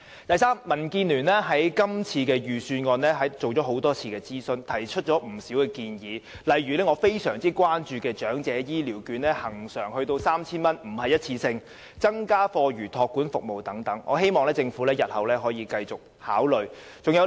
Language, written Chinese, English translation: Cantonese, 第三，民建聯曾就今年的預算案進行多次諮詢，並提出不少建議，例如我非常關注的長者醫療券將會恆常而非一次性地增至 3,000 元，以及增加課餘託管服務等，我希望政府日後仍會繼續這樣做。, Thirdly DAB has conducted a number of consultations on this years Budget and put forward a lot of proposals . For example we propose that the amount of Elderly Health Care Voucher which is one of my grave concerns should be increased to 3,000 on a permanent but not one - off basis and that after - school care services should also be increased . I hope that the Government will continue to make such efforts in the future